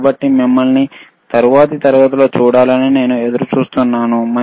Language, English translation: Telugu, So, I look forward to see you in the next class, right